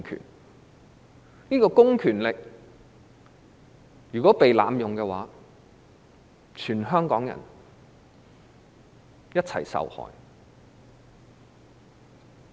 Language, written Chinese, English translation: Cantonese, 如果這個公權力被濫用，全香港人將一起受害。, If this public power is abused all Hong Kong people will be victimized